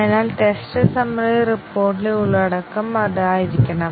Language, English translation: Malayalam, So, that should be the contents of the test summary report